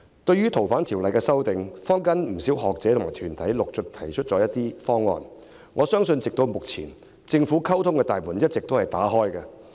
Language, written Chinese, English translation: Cantonese, 對於《逃犯條例》的修訂，坊間不少學者和團體陸續提出了一些方案，我相信至今政府的溝通大門也是一直打開的。, As regards the FOO amendments many scholars and organizations in the community have made some proposals one after another . I believe to date the Government has been keeping the door of communication open